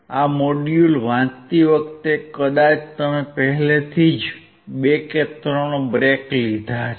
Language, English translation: Gujarati, While reading this module probably you have taken already 2 or 3 breaks